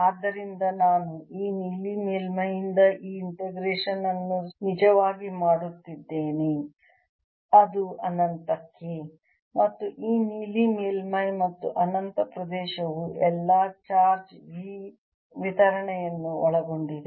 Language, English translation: Kannada, so i am, i am actually doing this integration from this blue surface which to infinity and this blue surface and infinity region in between, includes all the charge distribution